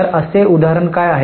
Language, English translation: Marathi, So, what is such example